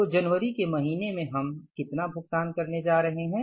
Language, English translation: Hindi, And in the month of March, how much payments we are going to make